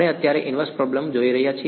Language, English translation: Gujarati, Right now we are looking at inverse problem